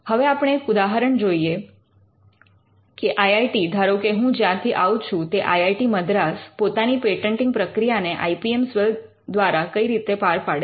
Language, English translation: Gujarati, Now, let us look at an example of how one of the IITs from where I am from IIT, Madras looks at the patenting process through the through their IPM cell